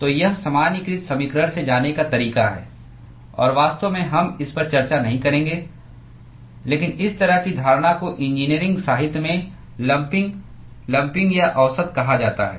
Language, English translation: Hindi, So, this is the way to go from the generalized equation and in fact, we will not discuss this, but this sort of assumption is called lumping lumping or averaging in engineering literature